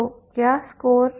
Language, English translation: Hindi, So what is the score